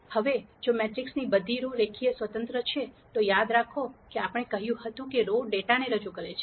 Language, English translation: Gujarati, Now if all the rows of the matrix are linearly independent, then remember we said the rows represent data